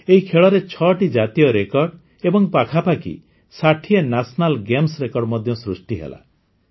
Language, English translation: Odia, Six National Records and about 60 National Games Records were also made in these games